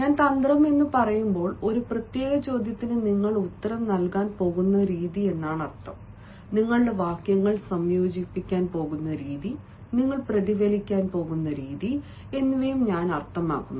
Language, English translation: Malayalam, when i say tact, i also mean the way you are going to answer a particular question, the way you are going to combine your sentences, the way you are going to respond